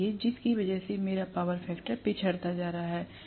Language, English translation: Hindi, So because of which I am going to have the power factor lagging